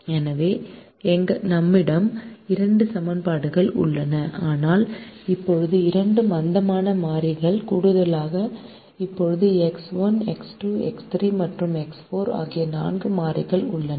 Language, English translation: Tamil, so we have two equations, but now, with the addition of the two slack variables, we now have four variables: x one, x two, x three and x four